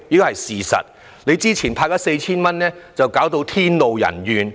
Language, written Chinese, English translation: Cantonese, 還有，你早前派 4,000 元弄致天怒人怨。, Also the 4,000 cash handout scheme you offered earlier has provoked widespread backlash